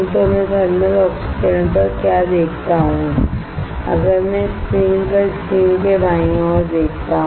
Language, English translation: Hindi, So, what I see on thermal oxidation if I see at the screen the left side of the screen the left side of the screen